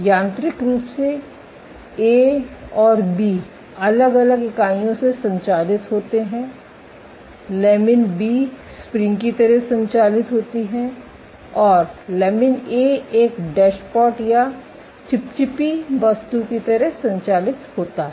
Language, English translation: Hindi, Now mechanically A and B operated different entities lamin B operates like a spring and lamin A operates like a dashpot or of viscous object